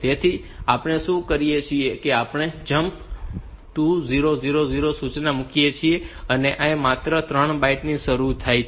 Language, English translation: Gujarati, So, what we do we put a jump 2000 instruction here, and this requires only 3 bytes